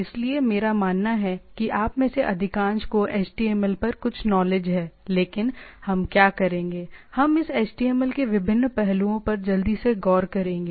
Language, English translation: Hindi, So, I believe that most of you have some knowledge on the HTML, but what we’ll we do, we will do we will look at a quickly at that different aspects of this HTML document right